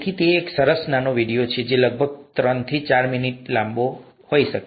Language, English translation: Gujarati, So that's a nice small video, may be about three to four minutes long